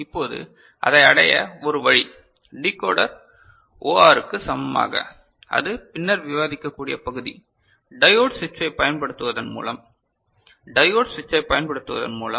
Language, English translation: Tamil, Now, one way to achieve this which is equivalent to Decoder OR, that part I shall discuss later is by using diode switch, by using diode switch ok